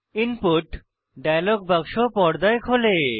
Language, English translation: Bengali, An input dialog box appears on screen